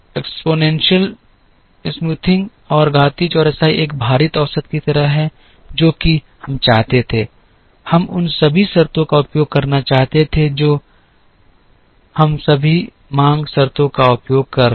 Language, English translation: Hindi, So, the exponential smoothing is like a weighted average, which is what we wanted, we wanted to use all the terms we are using all the demand terms